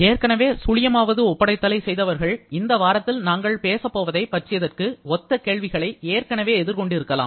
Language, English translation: Tamil, Those who of you who have already done the assignment zero, may have already seen thus; may have already faced questions similar to the one that we are going to talk about in this week